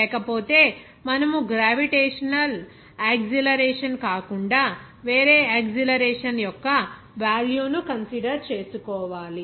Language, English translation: Telugu, Otherwise, in either direction you have to consider a certain value of acceleration there other than gravitational acceleration